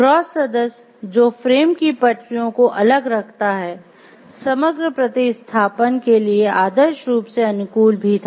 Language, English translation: Hindi, The cross member that holds the rails of the frame apart was ideally suited for composite replacement